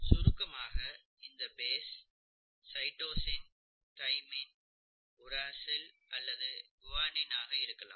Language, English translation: Tamil, So this base here could be one of these kinds, either a cytosine or a thymine or uracil or an adenine or a guanine, okay